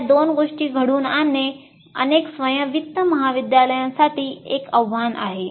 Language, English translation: Marathi, So making these two happen is a challenge for many of these self financing colleges